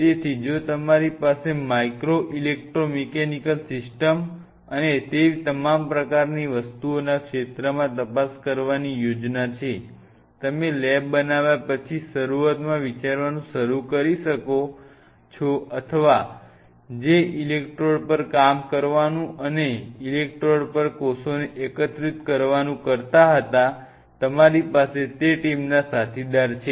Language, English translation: Gujarati, So, if you have plans to explore in the area of micro electromechanical systems and all those kinds of things, you might as well start thinking in the beginning instead of thinking after you make up the lab or you have a colleague with part of team, who was to work on electrodes and integrating cells on electrodes